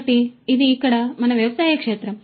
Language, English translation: Telugu, So, this is our agricultural field over here